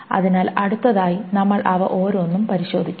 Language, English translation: Malayalam, So we'll go over each of this next